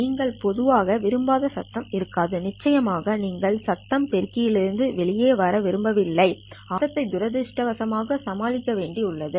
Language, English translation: Tamil, Of course you don't really want the noise to go to come out of the amplifier but it's unfortunate that you have to cope with the noise